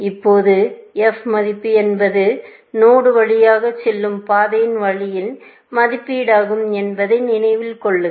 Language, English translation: Tamil, Now, remember the f value is an estimate of the cost of the path, going through the node